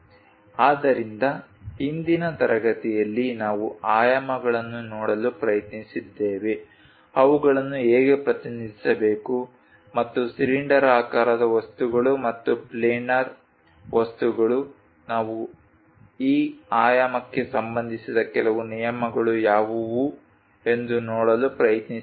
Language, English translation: Kannada, So, in today's class, we tried to look at dimensions, how to represents them and for cylindrical objects and also planar objects, what are the few rules involved for this dimensioning we tried to look at